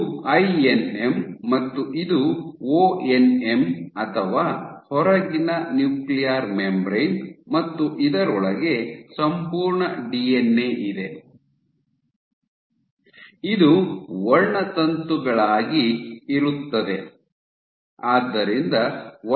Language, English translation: Kannada, So, this is your INM, and this is your ONM or outer nuclear membrane and within this you have the entire DNA, it is present as chromosomes